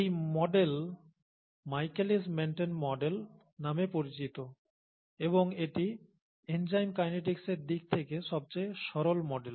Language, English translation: Bengali, This model is called the Michaelis Menten model and it’s the simplest model in terms of enzyme kinetics